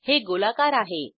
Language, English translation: Marathi, It has spherical shape